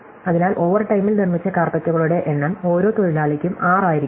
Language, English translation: Malayalam, So, the number of carpets made in overtime can be at most 6 per worker